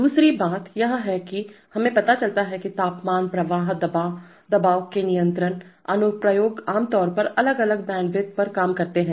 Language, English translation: Hindi, Second thing is that we realize that temperature, flow, pressure these control applications typically work at different bandwidths